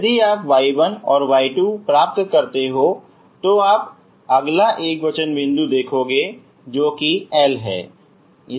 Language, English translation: Hindi, If you get y 1 and y 2, what you see is upto the next singular point that is L